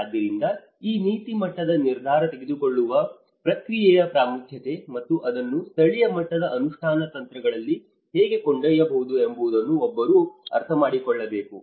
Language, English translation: Kannada, So, one has to understand that importance of this policy level decision making process and how it can be taken to the local level implementation strategies